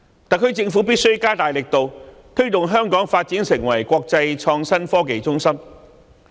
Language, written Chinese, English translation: Cantonese, 特區政府必須加大力度推動香港發展成為國際創新科技中心。, The SAR Government must step up its efforts in promoting Hong Kongs development into an international innovation and technology hub